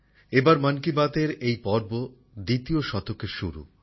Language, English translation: Bengali, This time this episode of 'Mann Ki Baat' is the beginning of its 2nd century